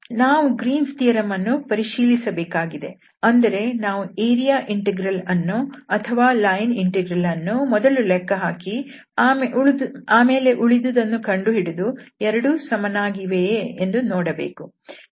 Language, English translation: Kannada, So we want to verify the Green’s theorem that means, first we will compute the area integral or the line integral and then the other one and see the both the values are same